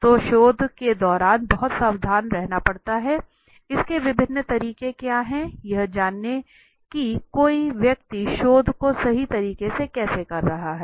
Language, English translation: Hindi, So during the research one has to be very careful, what are the different methods of you know the ways one is doing or conducting the research right